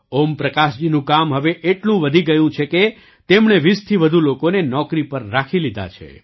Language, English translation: Gujarati, Om Prakash ji's work has increased so much that he has hired more than 20 people